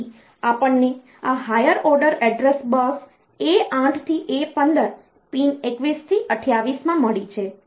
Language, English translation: Gujarati, So, we have got this higher order address bus A 8 to A 15 in pins 21 to 28